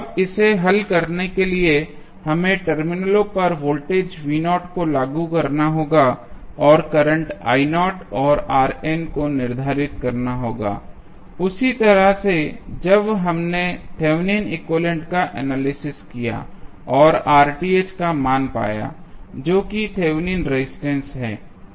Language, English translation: Hindi, Now, how to solve it, we have to apply voltage V naught at the terminals AB and determine the current I naught and R n is also found in the same way as we analyzed the Thevenin's equivalent and found the value of RTH that is Thevenin's resistance